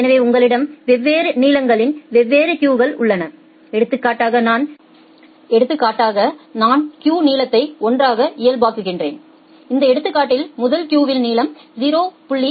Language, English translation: Tamil, So, you have different queues of different lengths say for example, I am normalizing the queue length to 1 and in this example the first queue has a length of 0